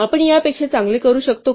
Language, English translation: Marathi, So can we do better than this